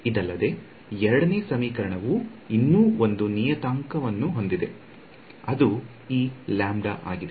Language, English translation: Kannada, Further, I notice the second equation has one more parameter that has come upon which is this guy lambda